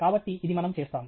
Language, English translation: Telugu, So, this is what we will do